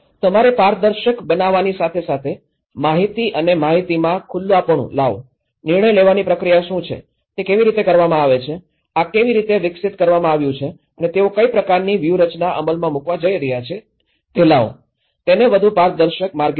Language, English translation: Gujarati, Bring the information and information and openness you have to be transparent, bring what the decision making process, how it is done, how this has been developed and what kind of strategy they are going to implement so, bring it more transparent ways